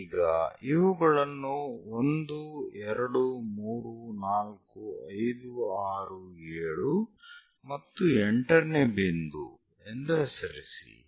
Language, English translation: Kannada, Now name these as 1, 2, 3rd point, 4, 5, 6, 7 and 8th point; 8 divisions are done